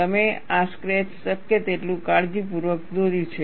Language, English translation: Gujarati, You have carefully drawn this sketch as much as possible